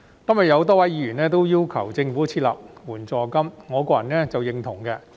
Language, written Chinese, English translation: Cantonese, 今天有多位議員要求政府設立援助金，我個人是認同的。, Today many Honourable Members have demanded the Government to establish an unemployment assistance and I personally agree with them